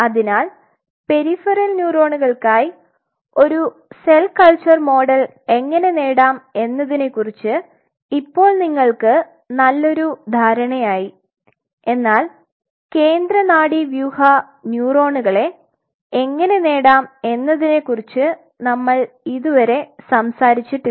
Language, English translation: Malayalam, So, now, you have a fairly good idea how to have a cell culture model for peripheral neurons now how to achieve for central nervous system neurons we have not talked about it yet right